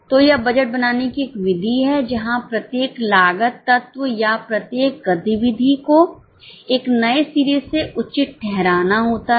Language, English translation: Hindi, So, this is a method of budgeting where each cost element or each activity has to justify it afresh